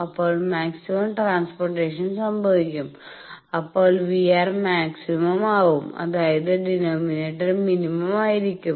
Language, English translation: Malayalam, Then maximum transport will occur, when the v R L is maximum; that means, when the denominator is minimum